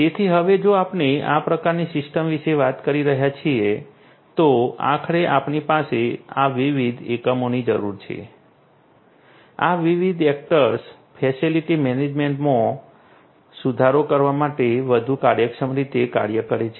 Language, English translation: Gujarati, So, now, if we are talking about this kind of system ultimately we need to have these different units, these different actors, work much more efficiently in order to have improved facility management